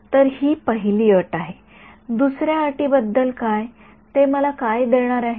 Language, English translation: Marathi, So, this is the first condition; what about the second condition its going to give me